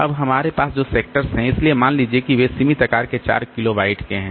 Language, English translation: Hindi, Now this sectors that we have so they are of limited size say 4 kilobyte